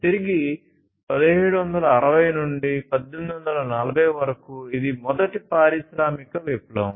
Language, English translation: Telugu, Back in 1760s to 1840s, it was the first industrial revolution